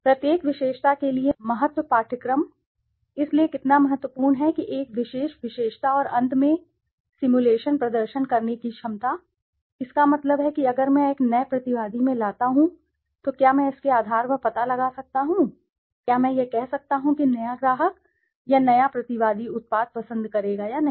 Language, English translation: Hindi, Importance course for each attribute, so how important is a particular attribute and finally the ability to perform simulations, that means if I bring in a new respondent can I find out on basis of its, the part functions can I say this whether the new customer or the new respondent would prefer the product or not